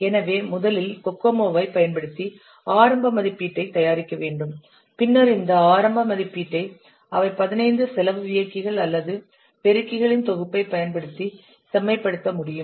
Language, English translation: Tamil, So first you have to prepare the initial estimate using Kokomo, then this initial estimate they can estimate, it can be refined by using a set of 15 cost drivers or multipliers